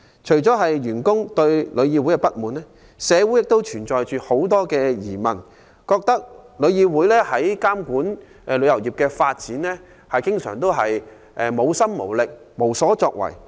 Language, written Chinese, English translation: Cantonese, 除了員工對旅議會不滿，社會亦存在很多疑問，認為旅議會在監管旅遊業的發展上經常無心無力、無所作為。, On top of staff grievances against TIC there are lots of public queries about TICs determination and ability to oversee the development of travel industry and its lack of achievement